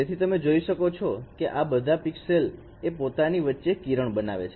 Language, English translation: Gujarati, So you can see that all these pixels they form ages among between themselves